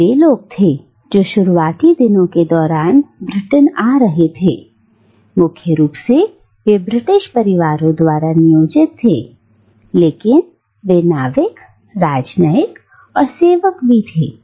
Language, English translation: Hindi, And they were, these people who were arriving in Britain during the early days, were primarily servants employed by British households but they were also sailors diplomats and savants